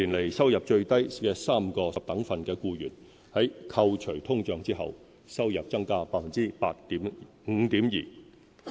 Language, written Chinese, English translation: Cantonese, 四年來，收入最低3個十等分的僱員，在扣除通脹後，收入增加 5.2%。, Over these four years earnings for the employees in the lowest three income decile groups have increased by 5.2 % after discounting inflation